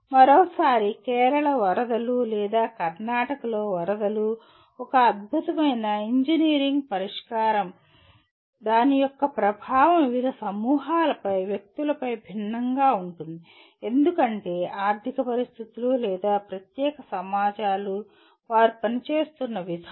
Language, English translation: Telugu, Once again, Kerala floods or floods in Karnataka do provide excellent examples where the impact of a particular engineering solution is different on different groups of persons because of economic conditions or particular societies the way they are operating